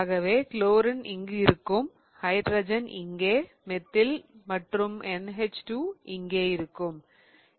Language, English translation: Tamil, So, I'm going to get chlorine here, hydrogen here, methyl and NH2